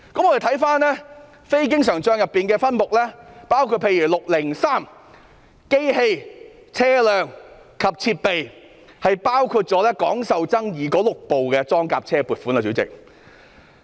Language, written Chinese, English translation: Cantonese, 我們看非經營帳目的分目，包括分目 603， 當中包括廣受爭議的6部裝甲車的撥款。, Let us look at Subhead 603 under the Operating Account Non - Recurrent subheads which includes the provision for procuring the six widely controversial armoured personnel carriers